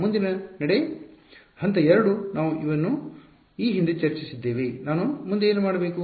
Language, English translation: Kannada, Next step; step 2 we discuss this previously what do I do next